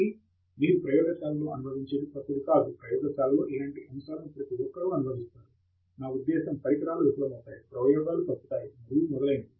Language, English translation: Telugu, So what you experience in the lab is not new, everybody experiences similar stuff in the lab; I mean equipment fail, experiments go wrong and so on